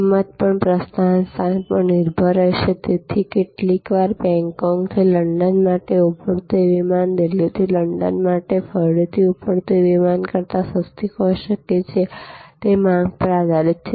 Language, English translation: Gujarati, Also price will depend on departure location, so sometimes flights taking off from Bangkok for London may be cheaper than flight taking off from Delhi for London again depends on pattern of demand